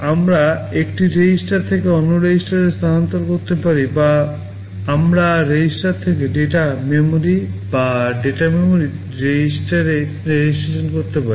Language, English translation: Bengali, We can transfer from one register to another or we can transfer from register to data memory or data memory to register